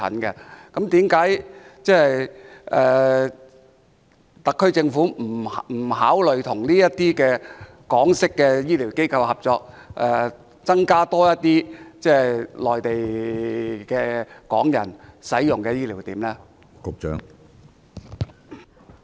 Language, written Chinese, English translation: Cantonese, 為何特區政府不考慮與這些港式醫療機構合作，在內地增加多些醫療點供香港人使用呢？, Why has the Government not considered cooperating with these Hong Kong - style medical institutions to provide Hong Kong people with more heath care service points on the Mainland?